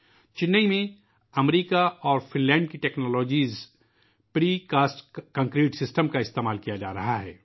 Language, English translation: Urdu, In Chennai, the Precast Concrete system technologies form America and Finland are being used